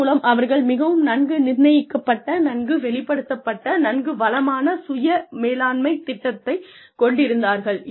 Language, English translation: Tamil, So, they have a very very, well set, well established, very rich, self management program